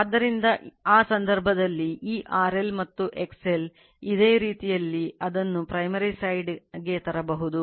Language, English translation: Kannada, So, in that case and this R L and X L in similar way you can bring it to the primary side